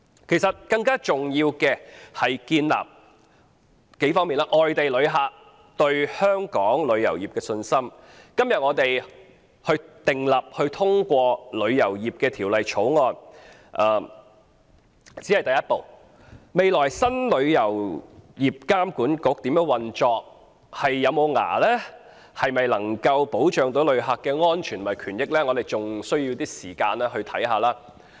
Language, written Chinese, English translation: Cantonese, 其實，要重建外地旅客對香港旅遊業的信心，今天通過《條例草案》只是第一步，未來新的旅監局如何運作、有否牙力、能否保障旅客的安全和權益，仍需要時間觀察。, In fact in order to rebuild non - local visitors confidence in the travel industry of Hong Kong the passage of the Bill today is only the first step . We still need time to observe how the new TIA will operate in the future whether it will have power and whether it will be able to protect the safety rights and interests of visitors